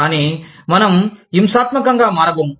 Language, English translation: Telugu, But, we are not going to become, violent